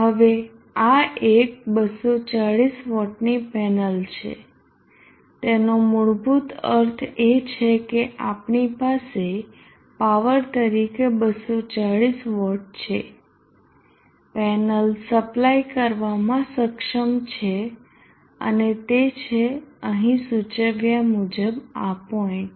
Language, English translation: Gujarati, 18 volts now this is a 240 watt panel what it basically means is that we have 240watts as the paek power the panel is capable of supplying and this studies this point as indicated here you could also get it by multiplying 7